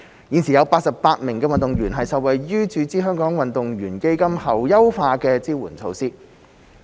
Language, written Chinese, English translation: Cantonese, 現時已有88名運動員受惠於注資香港運動員基金後優化支援措施。, Currently 88 athletes have benefited from various enhanced support measures implemented since the injection into HKAF